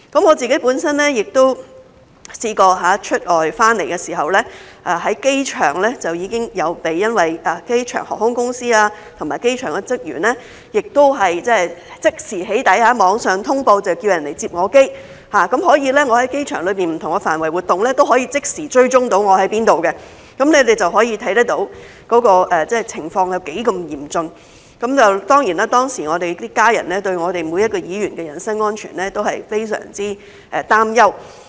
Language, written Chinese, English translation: Cantonese, 我本身也曾試過在出外回港的時候，在機場就已經被航空公司和機場的職員即時"起底"，他們在網上通報叫人來"接機"，我在機場不同範圍的活動，都可以即時被追蹤，大家可以看到情況是那麼的嚴峻，當時每一個議員的家人對議員的人身安全都非常擔憂。, I myself was doxxed immediately by the airline and airport staff at the airport when I returned to Hong Kong and they asked people online to come to pick me up . My activities in different areas of the airport could be tracked instantly . As you can see the situation was very severe and the family members of each legislator were very worried about the personal safety of the legislator